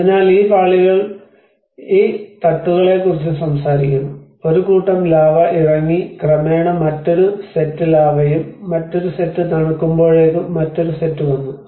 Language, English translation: Malayalam, So, these layers also talks about these beds which are talking about, so a set of lava have come down and gradually another set of lava and the by the time it cools down the another set came, another set came